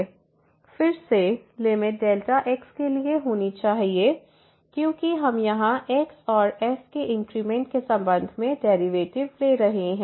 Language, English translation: Hindi, So, again the limit has to be for delta because we are taking the derivative with respect to and here the increment